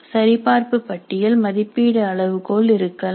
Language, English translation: Tamil, There can be checklists, there can be rating scales